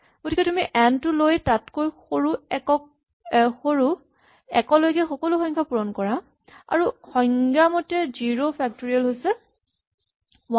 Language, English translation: Assamese, So you take n and multiply it by all the numbers smaller than itself up to 1 and by definition 0 factorial is defined to be 1